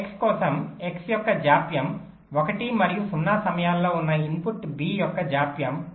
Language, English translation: Telugu, for x, the delay of x is one and the delay of the input b, which is at time zero, is point one